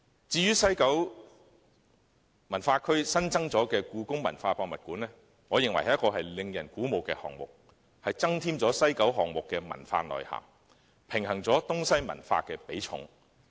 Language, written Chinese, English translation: Cantonese, 至於西九文化區新增的香港故宮文化博物館，我認為是一項令人鼓舞的項目，增添了西九文化區項目的文化內涵，平衡了東西文化的比重。, As regards the newly added Hong Kong Palace Museum in WKCD I consider this project most encouraging for not only can it enhance the cultural substance of the WKCD project but the weighting between Eastern and Western cultures can also be balanced